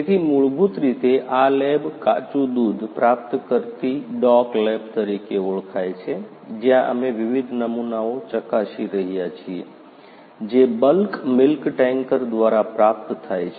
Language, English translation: Gujarati, So, basically this lab is known as raw milk receiving dock lab, where we are checking the various samples which are received by the bulk milk tankers